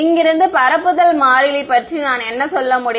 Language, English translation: Tamil, What can I say from here, the propagation constant